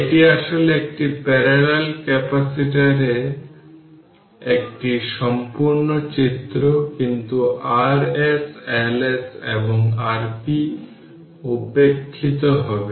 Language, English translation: Bengali, This is actually complete diagram of a parallel capacitor, but R s L s and R p will be neglected